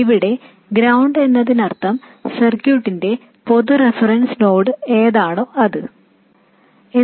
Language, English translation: Malayalam, And ground here means whatever is the common reference node of the circuit